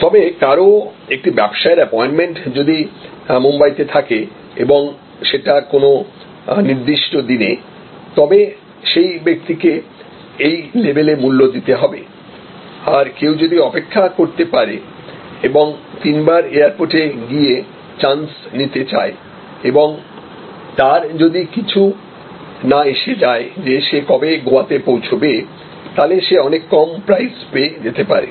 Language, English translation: Bengali, But obviously, somebody has an a appointment business appointment has to be in Bombay and certain particular day, then that person will have to pay price at this level, where as price somebody who can wait and take chance and go to the airport three times and does not care, which day he or she arrives in Goa, then the price can be quite low